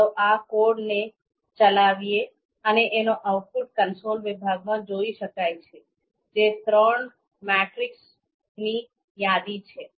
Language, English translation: Gujarati, So let’s execute this code and in the console section the output you can see, a list of three matrices has been created